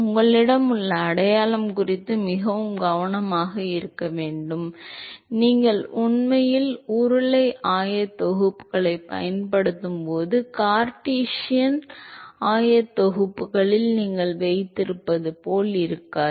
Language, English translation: Tamil, Should be very careful about the sign that you have, when you are actually using cylindrical coordinates, it is not the same as what you have in Cartesian coordinates